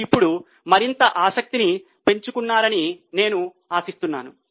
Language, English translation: Telugu, I hope you have developed now more and more interest